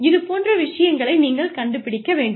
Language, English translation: Tamil, You need to figure out those things